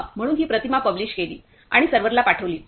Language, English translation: Marathi, Yeah So, it published the image, it published the image and sent it to the server